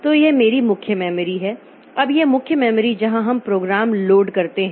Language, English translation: Hindi, Now, this main memory where exactly we load the program